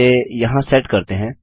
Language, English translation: Hindi, So lets test this out